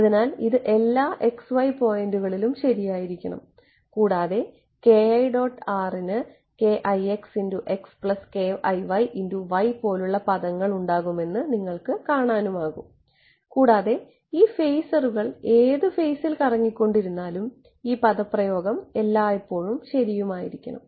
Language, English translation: Malayalam, So, this should be true at all x,y right, and you notice that this k i dot r this is going to have terms like k i x x plus k i y y and these phasors are rotating in whatever in phase space and this expression should be true always